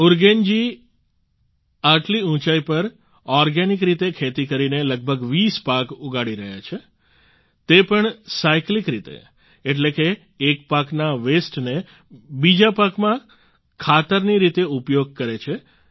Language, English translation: Gujarati, At those heights Urugen is growing about 20 crops organically, that too in a cyclic way, that is, he utilises the waste of one crop as manure for the other crop